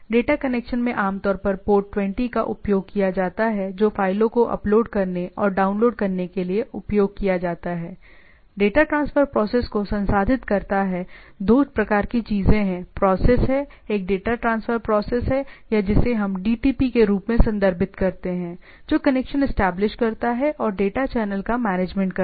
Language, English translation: Hindi, Data connection is typically port 20 used to upload and download files right, process the data transfer process two type of things are processes are there, one is the data transfer process or let us refer it as DTP, establishes the connection and managing the data channel